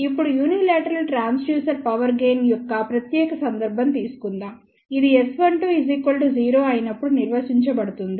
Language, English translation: Telugu, Now let us take a special case of unilateral transducer power gain, this is defined when S 1 2 is equal to 0